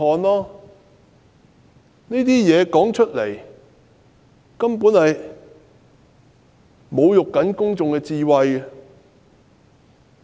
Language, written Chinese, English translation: Cantonese, 特首的說法根本在侮辱市民的智慧。, The Chief Executives reply was simply an insult to peoples intelligence